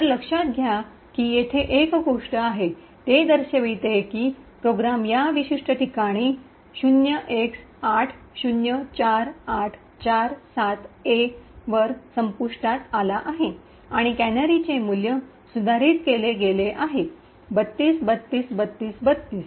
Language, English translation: Marathi, So, note that there is one thing over here it shows that the program has terminated at this particular location 0x804847A and the value of the canary which has been modified was 32, 32, 32, 32